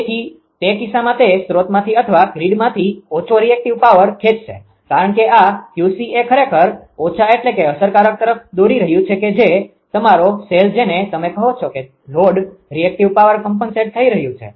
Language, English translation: Gujarati, So, in that case your what you call; that means, it will draw less reactive power from the source or from the grid because this Q c actually as it is drawing less means actually effectively that your cell what you call that load reactive power is getting compensated